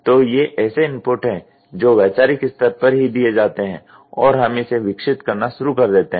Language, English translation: Hindi, So, these are the inputs which are given at the conceptual stage itself and we start developing it